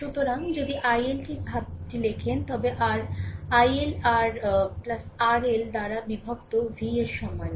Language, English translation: Bengali, So, if you write the expression of i L, then your i L is equal to v divided by R plus R L right